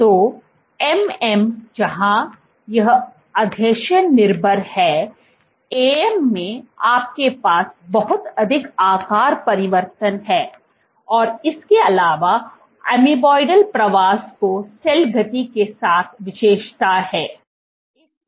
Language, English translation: Hindi, So, MM where, it is adhesion dependent; in AM you have lot more shape changes and in addition amoeboidal migration is characterized with cell speed